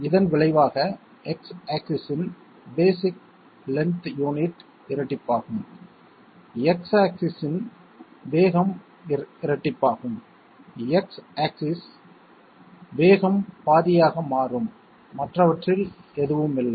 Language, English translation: Tamil, As a result, the X axis basic length unit will double, the X axis speed will double, the X axis speed will become half and none of the others